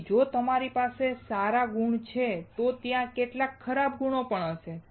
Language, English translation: Gujarati, So, if you have good qualities there would be some bad qualities too